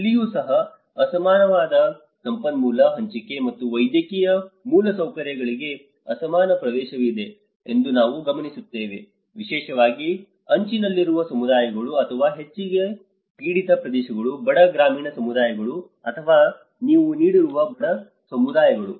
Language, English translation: Kannada, Even here, we notice that there is an unequal resource allocation and access to medical infrastructure, especially the marginalized communities or mostly prone areas are the poor rural communities or the poverty you know communities